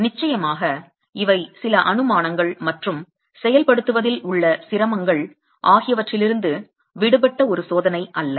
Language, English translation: Tamil, Of, this is also not a test that is free from certain assumptions and difficulties in executing as well